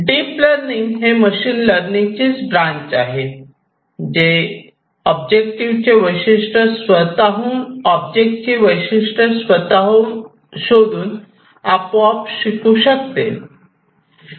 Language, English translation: Marathi, Deep learning, basically, is a subset of machine learning, which can learn automatically by finding the features of the object on its own